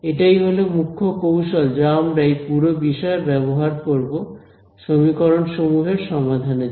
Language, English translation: Bengali, Again this is the key strategy we will use throughout this course in solving systems of equations right